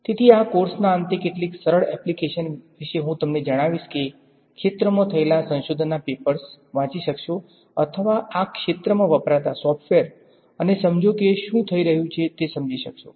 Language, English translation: Gujarati, So, some simple applications I will tell you about at the end of this course you should be able to at least read the papers in this area or look at a software in this area and understand what is happening